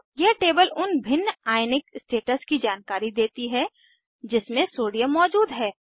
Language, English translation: Hindi, This table gives information about * different Ionic states Sodium exists in